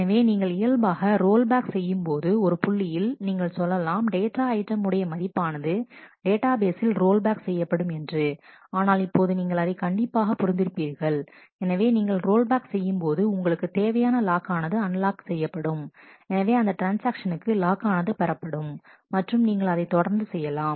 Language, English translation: Tamil, So, when you actually which we are roll back we had at that point could only say that your value of the data item in the database will be rolled back, but certainly as now you can understand that, if you roll back also the locks that you have required we also get unlocked so, that other transactions can get those locks and proceed